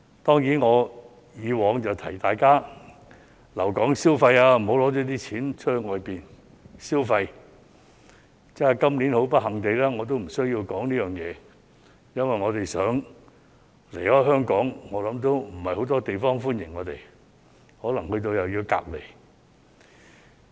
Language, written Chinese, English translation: Cantonese, 當然，我以往會提醒大家留港消費，不要把錢拿到外地消費；但是，今年很不幸地我無須提醒大家，因為我們想離開香港，也沒有很多國家歡迎我們，可能抵達後又要被隔離。, However it is very unfortunate that I do not need to remind the public this year because even though we want to leave Hong Kong not many countries welcome us and we may also subject to quarantine upon arrival